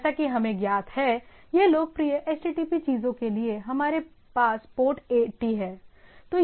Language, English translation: Hindi, That is either it is known or for the popular HTTP things what we have the port is the port 80